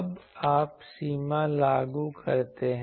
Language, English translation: Hindi, Now, you enforce the limit